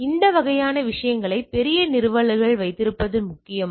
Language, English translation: Tamil, So, that is important to have those type of things in large installation which are things